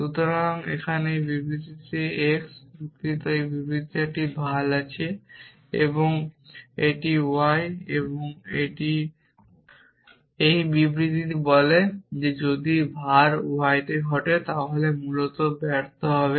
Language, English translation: Bengali, So, this x in this statement here sorry this is well in this statement and this is y and this statement says that if var occurs in y then return fail essentially